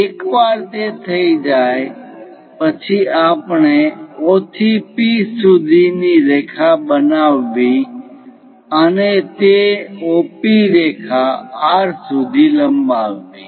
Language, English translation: Gujarati, Once it is done, we have to construct a line from O to P and then extend that O P line all the way to R